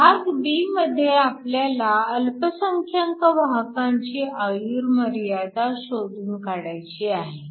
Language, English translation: Marathi, Part b, we want to calculate the minority carrier lifetime